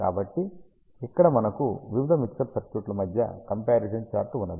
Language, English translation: Telugu, So, what we have here is a comparison chart between various mixer circuits